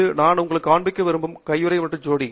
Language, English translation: Tamil, This is another pair of gloves which I wanted to show you